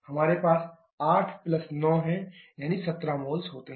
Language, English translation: Hindi, We are 8 + 9 that is 17 moles